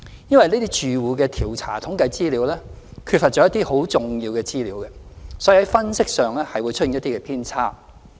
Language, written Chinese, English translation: Cantonese, 由於這些住戶調查統計缺乏一些很重要的資料，所以在分析上會出現一些偏差。, Given the absence of some material information in such household surveys deviations would arise in the analysis